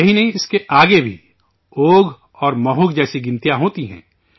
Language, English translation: Urdu, Not only this, there are numbers like Ogh and Mahog even after this